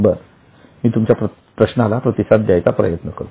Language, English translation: Marathi, Okay, I'll try to respond to your question